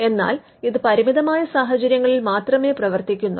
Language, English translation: Malayalam, This operates in very limited circumstances